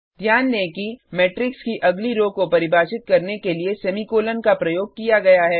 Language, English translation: Hindi, Note that Semicolon is used for defining the next row of the matrix